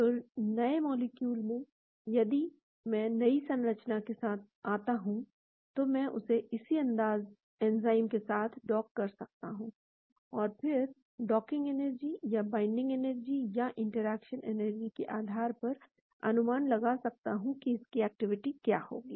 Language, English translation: Hindi, So, new molecule if I come up with the new structure, I can dock it to the same enzyme and then based on the docking energy or binding energy or interaction energy, I can predict what will be its activity